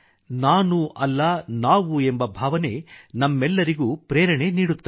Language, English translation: Kannada, This spirit of 'We, not I' will surely inspire all of us